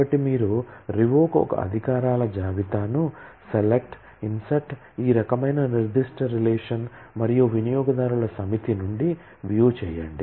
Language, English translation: Telugu, So, you revoke a privilege list, select, insert this kind of on certain relation and view from a set of users